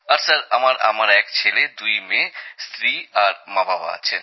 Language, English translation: Bengali, And Sir, I have a son, two daughters…also my wife and parents